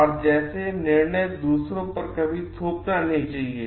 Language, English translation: Hindi, And like decisions should like never be thrusted on others